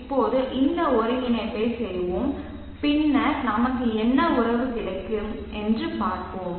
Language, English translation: Tamil, Now let us perform this integration and then see what the relationship that we will get